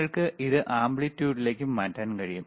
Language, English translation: Malayalam, You can change it to amplitude,